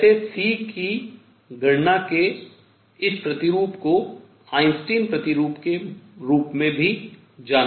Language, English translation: Hindi, By the way, this model of calculating C is known as Einstein model